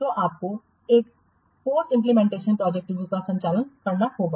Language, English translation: Hindi, And then you have to prepare a post implementation review report